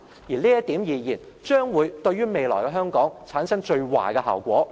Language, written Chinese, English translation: Cantonese, 就這點而言，將會對於未來的香港，產生最壞的效果。, Regarding this point it will cause the worse impact on the future of Hong Kong